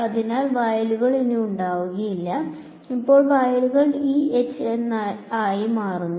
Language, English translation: Malayalam, So, the fields will no longer be E naught H naught and now the fields become E and H